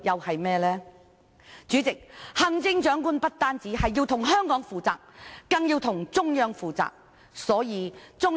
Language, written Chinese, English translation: Cantonese, 行政長官不但要向香港負責，更要向中央負責。, The Chief Executive should be accountable not only to Hong Kong but the Central Authorities as well